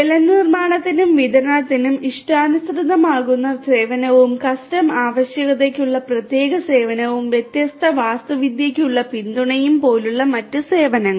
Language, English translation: Malayalam, Different other services such as customizable service for water management and distribution and application specific services for custom requirement specific support and support for different architecture